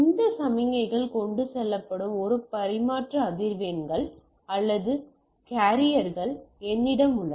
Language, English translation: Tamil, So, I have multiple transmission frequencies or carriers by which this signals are carried